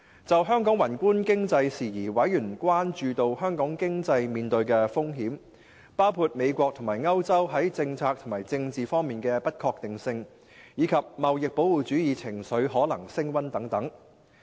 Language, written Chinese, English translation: Cantonese, 就香港宏觀經濟事宜，委員關注到香港經濟面對的風險，包括美國和歐洲在政策及政治方面的不確定性，以及貿易保護主義情緒可能升溫等。, With regards to matters relating to macro - economic issues of Hong Kong members noted the risks to the Hong Kong economy including uncertainties surrounding policy and political developments in the United States and Europe and the possible rise in protectionist sentiment on the Hong Kong economy